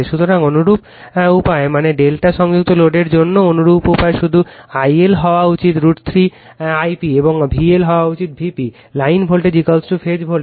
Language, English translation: Bengali, So, similar way that means, similar way for delta connected load also, just I L should be your root 3 I p and V L should be is equal to V p, line voltage is equal to phase voltage